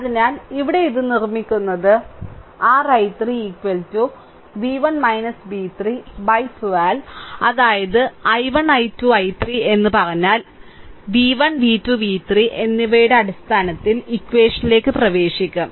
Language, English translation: Malayalam, So, ah making it here therefore, your i 3 is equal to v 1 minus v 3 by 12 right so; that means, if you say it i 1 i 2 i 3 if you put it here, then you will get into equation in terms of v 1 v 2 and v 3